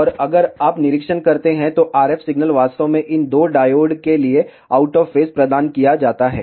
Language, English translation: Hindi, And if you observe, the RF signal is actually provided out of phase for these two diodes